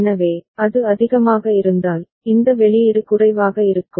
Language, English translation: Tamil, So, if it is at high, then this output is low